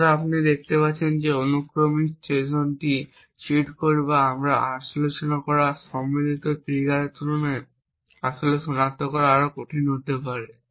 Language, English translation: Bengali, So you see that this sequential Trojan may be more difficult to actually detect compared to the cheat code or the combinational trigger that we discussed